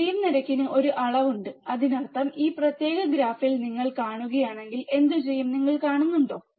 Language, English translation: Malayalam, There is a measure of slew rate; that means, if you see in this particular graph, what we see